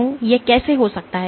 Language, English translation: Hindi, How can this happen